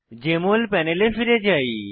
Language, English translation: Bengali, Lets go back to the Jmol panel